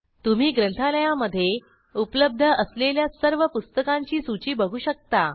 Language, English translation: Marathi, We can see the list of all the books available in the library